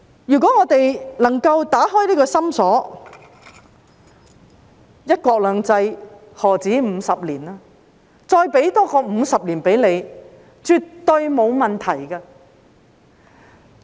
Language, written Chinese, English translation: Cantonese, 如果我們能夠打開這個心鎖，"一國兩制"，何止50年？再多給你50年也絕對沒有問題。, If we can open this lock in our heart one country two systems can well surpass 50 years of existence and an extra 50 years is absolutely not a problem